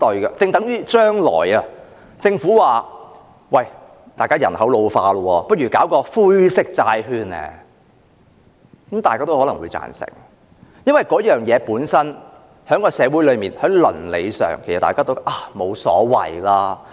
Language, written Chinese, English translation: Cantonese, 就正如政府說將來人口老化，不如推出"灰色債券"，可能大家也會贊成，因為事情本身在社會上和倫理上，大家都認為沒有所謂。, Similarly if the Government suggests issuing grey bonds in the light of the ageing population in the future perhaps everyone will agree as well . Because we do not find any problems with it from the social and ethical perspectives